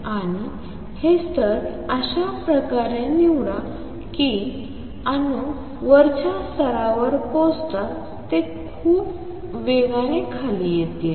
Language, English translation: Marathi, And choose these levels in such a way that as soon as the atoms reach the upper level, they come down very fast